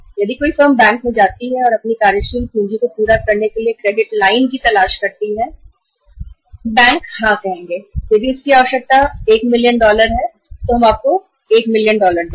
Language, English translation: Hindi, If any firm goes to the bank and seeks the credit line for fulfilling its working capital requirements bank would say yes if its requirement is 1 million dollars, we will give you 1 million dollars